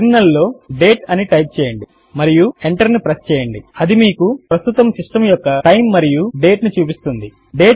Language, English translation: Telugu, Type date in the terminal and press enter It will show you the present system time and date